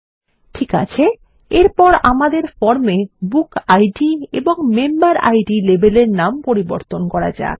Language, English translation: Bengali, Okay, next, let us rename the BookId and MemberId labels on the form